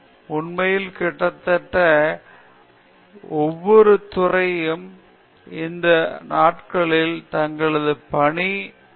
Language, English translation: Tamil, In fact, almost every department these days says that their work is interdisciplinary